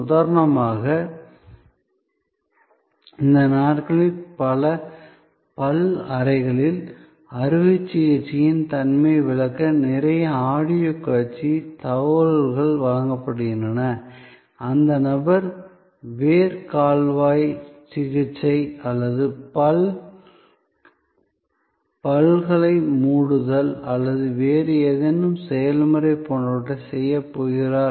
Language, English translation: Tamil, Like for example, these days in many dentist chambers, lot of audio visual information are provided to explain the nature of the surgery, the person is going to go through like maybe Root Canal Treatment or capping of the teeth or some other procedure